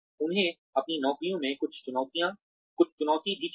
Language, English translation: Hindi, They also need some challenge in their jobs